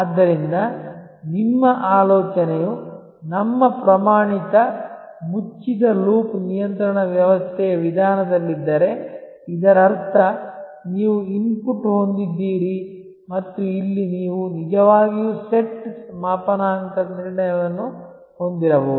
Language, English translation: Kannada, So, again if your think is in terms of the our standard closed loop control system approach; that means, you have an input and here you may actually have a set calibration